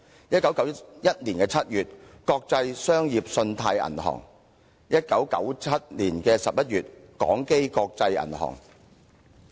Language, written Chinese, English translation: Cantonese, 1991年7月，國際商業信貸銀行倒閉。1997年11月，港基國際銀行擠提。, The Bank of Credit and Commerce International collapsed in July 1991 while the International Bank of Asia suffered a run in November 1997